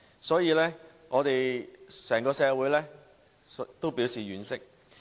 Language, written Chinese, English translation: Cantonese, 所以，整個社會也表示婉惜。, As a result the entire society finds it regrettable